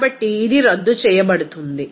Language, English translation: Telugu, So, it will be canceled out